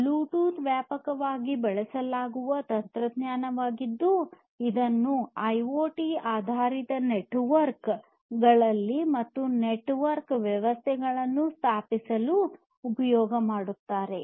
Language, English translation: Kannada, So, Bluetooth is a widely used technology which can help in setting up IoT based networks and network systems